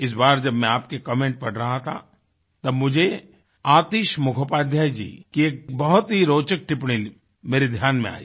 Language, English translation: Hindi, Once while I was going through your comments, I came across an interesting point by AtishMukhopadhyayji